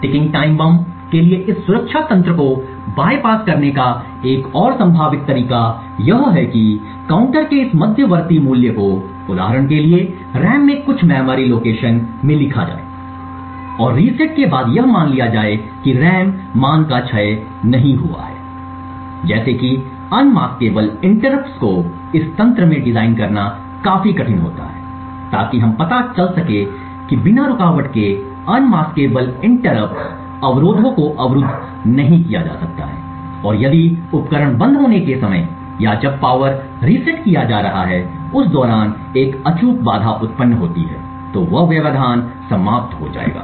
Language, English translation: Hindi, Another potential way to bypass this protection mechanism for a ticking time bomb is to write this intermediate value of the counter into some memory location in the RAM for instance and after the reset assuming that the RAM value has not decayed however aspect such as unmaskable interrupts could actually make designing such a mechanism quite difficult so in order as we know unmaskable interrupts cannot be blocked and if an unmaskable interrupt occurs during the time when the device is turned off or when the power reset is being done then that interrupt would get lost